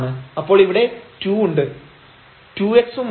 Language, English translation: Malayalam, So, this will go to 0 and we will get only 2 x